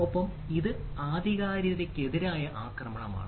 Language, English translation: Malayalam, and so the it is attack on authenticity